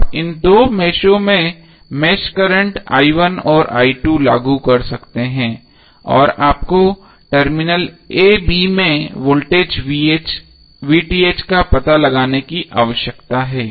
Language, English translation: Hindi, You can apply mesh current i1 and i2 across these two meshes and you need to find out the voltage VTh across terminal a b